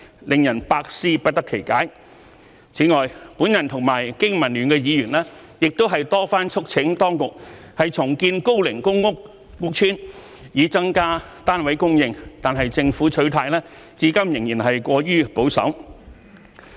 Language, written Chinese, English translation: Cantonese, 令人百思不得其解。此外，我和香港經濟民生聯盟的議員亦多番促請當局重建高齡公屋屋邨以增加單位供應，但政府取態至今仍是過於保守。, Moreover Members from the Business and Professionals Alliance for Hong Kong BPA and I have urged on many occasions the authorities to reconstruct old public housing estates in order to increase the supply of housing units but the stance of the Government so far remains excessively conservative